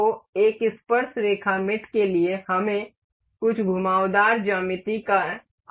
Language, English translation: Hindi, So, for tangent for tangent mate we need some curved geometry